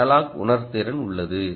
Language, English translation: Tamil, you have analogue sensing